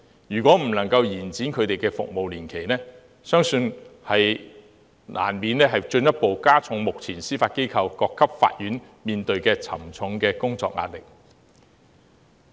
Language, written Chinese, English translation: Cantonese, 如果不能夠延長他們的服務年期，相信難免會進一步加重目前司法機構各級法院所面對沉重的工作壓力。, If their terms of service cannot be extended it is believed this would inevitably exert even greater work pressure on the different levels of court of the Judiciary